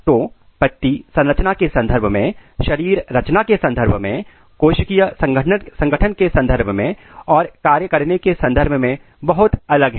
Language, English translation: Hindi, So, the leaf is very different in terms of structure, in terms of anatomy, in terms of cellular organization and in terms of the function